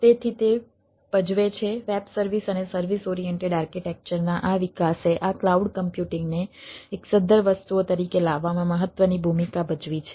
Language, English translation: Gujarati, this development of web services and service oriented architecture has played a important role in bringing this cloud as a, this cloud computing as a viable things